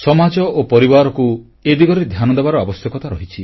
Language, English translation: Odia, Society and the family need to pay attention towards this crisis